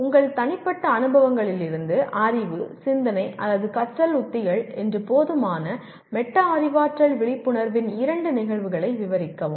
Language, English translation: Tamil, Describe two instances of inadequate metacognitive awareness that is knowledge, thinking or learning strategies from your personal experiences